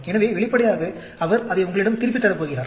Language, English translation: Tamil, So obviously, he is going to return it back to you